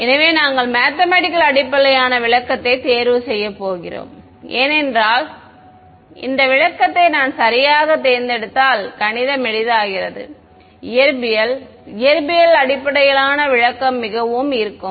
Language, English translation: Tamil, So, we are going to choose the math based interpretation because the math gets easier if I choose this interpretation right, the physic physics based interpretation is very appealing